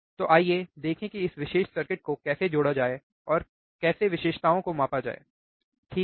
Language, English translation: Hindi, So, let us see how to how to connect this particular circuit and how to measure the characteristics ok, alright